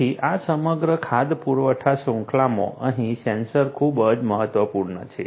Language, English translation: Gujarati, So, sensors are very crucial over here in this entire food supply chain